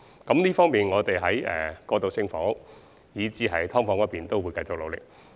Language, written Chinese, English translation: Cantonese, 我們在處理過渡性房屋以至"劏房"問題方面，必定會繼續努力。, We will definitely keep up our efforts in tackling problems concerning transitional housing and subdivided units